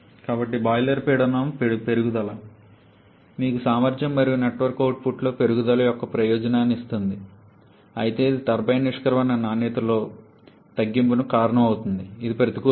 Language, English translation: Telugu, So, the increase in boiler pressure gives you the advantage of an increase in the efficiency and network output, but that causes a reduction in a turbine exit quality which is a disadvantage